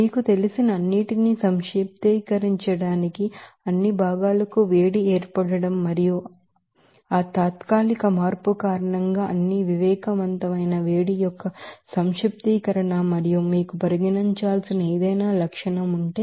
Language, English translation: Telugu, Also summation of all you know, heat formation for all components and summation of all sensible heats because of that temporary change and also if is there any feature that you have to consider